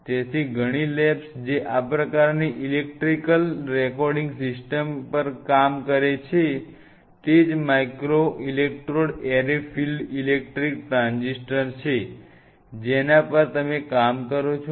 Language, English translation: Gujarati, So, many of the labs who work on these kind of electrical recording systems yeah microelectrode arrays field effect transistors you work on